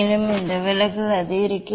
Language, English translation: Tamil, also, this deviation will increase